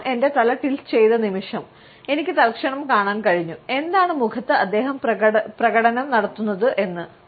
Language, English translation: Malayalam, The moment I tilted my head, I could instantly see the, what the heck is he doing expression on the faces